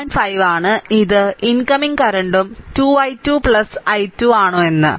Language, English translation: Malayalam, 5, this is incoming current and 2 whether i 2 plus i 3